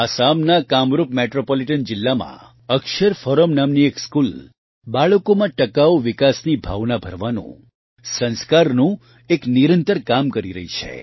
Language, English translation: Gujarati, A school named Akshar Forum in Kamrup Metropolitan District of Assam is relentlessly performing the task of inculcating Sanskar & values and values of sustainable development in children